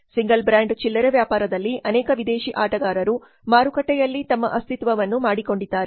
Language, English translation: Kannada, In single brand retailing many foreign players have made their presence in the market